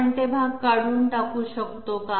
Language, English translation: Marathi, Can we do away with those parts